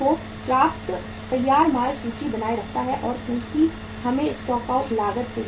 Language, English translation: Hindi, Maintains sufficient finished goods inventory because we have to avoid the stock out cost also